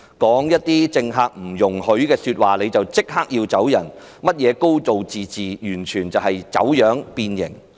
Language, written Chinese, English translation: Cantonese, 說一些政權不容許說的話便立即被逐離開，甚麼"高度自治"完全走樣變形。, If one can be expelled immediately for merely saying words forbidden by the regime it is evident that the so - called high degree of autonomy is totally distorted and deformed